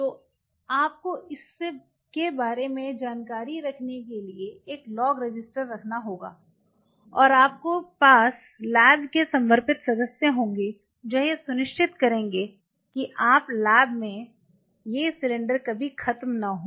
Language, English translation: Hindi, So, you have to have log register keeping track of it and you have dedicated members of the lab, we will ensure that your lab never runs out of it